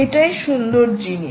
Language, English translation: Bengali, ok, that is the nice thing